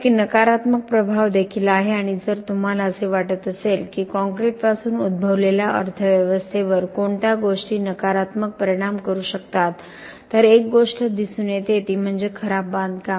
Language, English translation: Marathi, There is also a negative impact and if you think what are the things that could affect the economy negatively arising from concrete, one thing that pops up is poor construction